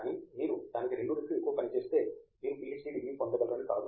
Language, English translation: Telugu, But then you do twice of that, that does not mean that you can get a PhD degree